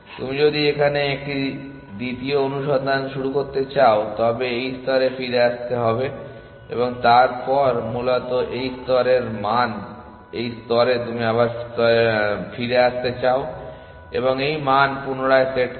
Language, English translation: Bengali, You have to come back to this layer you want to start a second search here, and then essentially these are the value f min at this level and f max at this level you go back to this layer and reset this value